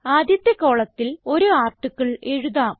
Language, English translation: Malayalam, Let us write an article in our first column